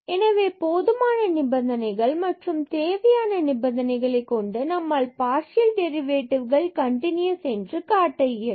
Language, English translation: Tamil, So, we have the necessary conditions for the sufficient condition we have to show that one of the partial derivatives is continuous